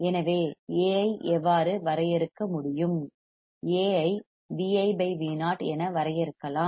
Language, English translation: Tamil, So, how we can define A, we can define A as V i by V o